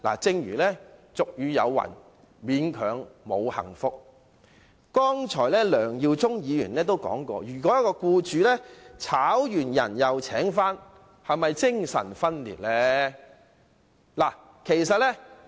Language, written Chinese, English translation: Cantonese, 正如俗語有云："勉強沒有幸福"，梁耀忠議員剛才也質疑，僱主解僱僱員後再僱用，是否精神分裂。, As the saying goes reluctance will not bring happiness . Mr LEUNG Yiu - chung also queried just now whether an employer suffered from schizophrenia if he re - engaged an employee previously dismissed by him